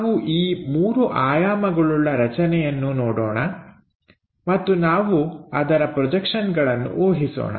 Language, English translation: Kannada, Let us look at this three dimensional object and we have to guess the projections